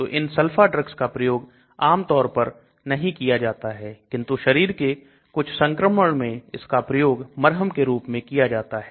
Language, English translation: Hindi, So these are sulfa drugs which are generally not used nowadays may be for some of the skin infections it is still being used in ointments